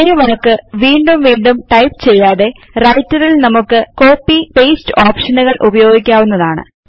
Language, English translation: Malayalam, Instead of typing the same text all over again, we can use the Copy and Paste option in Writer